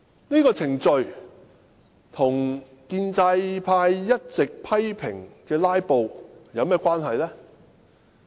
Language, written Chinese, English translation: Cantonese, 這程序與建制派一直批評的"拉布"有何關係？, What has this procedure got to do with filibustering which the pro - establishment camp has been lashing out at?